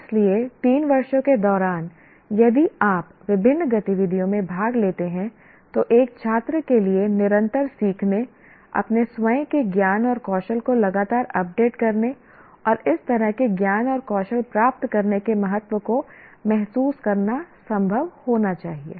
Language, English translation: Hindi, So, during the three years, if you participate in various activities, one, it is, it should be possible for a student to realize the importance of continuous learning, continuous updating of one's own knowledge and skills, and also how to go about getting that kind of knowledge and skills